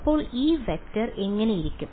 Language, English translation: Malayalam, So, what does this vector look like